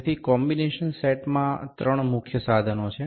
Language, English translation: Gujarati, So, the combination set has three major devices